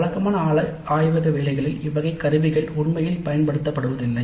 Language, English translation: Tamil, In the regular laboratory works these instruments are not really made use of